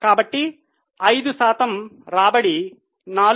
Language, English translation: Telugu, So, 5% was the return